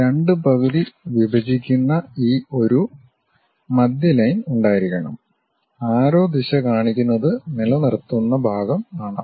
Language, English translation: Malayalam, And, there should be a center line dividing that halves and arrow direction represents our retaining portion